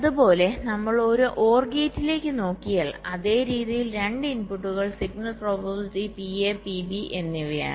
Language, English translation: Malayalam, similarly, if we look at an or gate, same way: two inputs, the signal probabilities are pa and pb